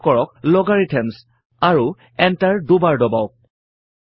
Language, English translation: Assamese, Type Logarithms: and press Enter twice